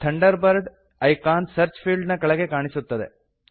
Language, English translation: Kannada, The Thunderbird icon appears under the Search field